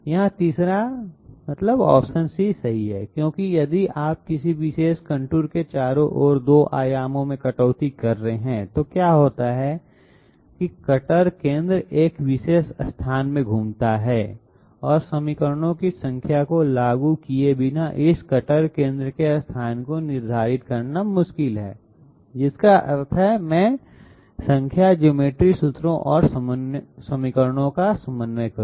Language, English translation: Hindi, Here the third; number C is correct because if you are cutting all around a particular contour in 2 dimensions, what happens is that the cutter centre moves around in a particular locus and it is difficult to determine this cutter centre locus without applying number of equations I mean number of coordinate geometry formulae and equations